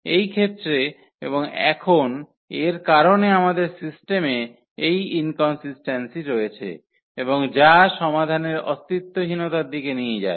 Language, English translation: Bengali, In this case and now because of this we have this inconsistency in the system and which leads to the nonexistence of the solution